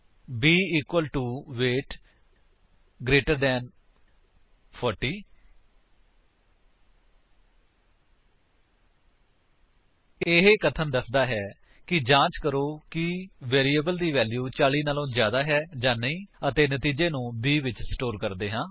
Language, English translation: Punjabi, b equal to weight greater than 40 This statement says: check if the value of variable is greater than 40 and store the result in b